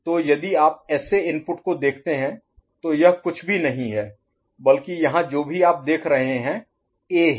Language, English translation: Hindi, So if you look at SA input, this is nothing but whatever you see here, A, right